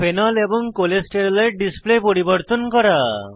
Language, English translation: Bengali, * Modify the display of Phenol and Cholesterol